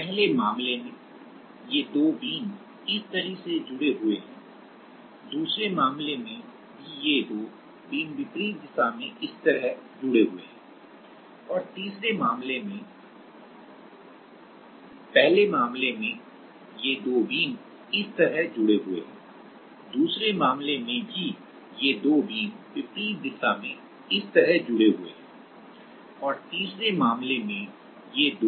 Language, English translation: Hindi, In the first case these two beams are connected like this, in the second case also this like these two beams are connected in the opposite direction and in the third case these two beams are connected like this right